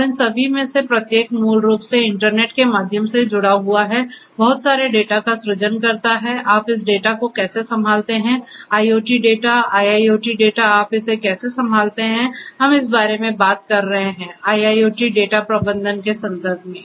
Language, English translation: Hindi, And each of all of these basically connected to the through the internet work or the internet, generating lot of data, how do you handle this data, IoT data, IIoT data, how do you handle it is, what we are talking about in the context of IIoT data management